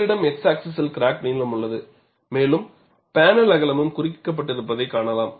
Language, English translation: Tamil, So, on the x axis, you have the crack length and you could also see the panel width marked